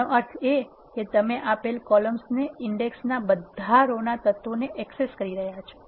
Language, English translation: Gujarati, This means you are accessing all the row elements of a given column index